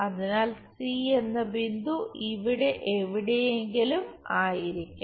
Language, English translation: Malayalam, So, the C point is somewhere there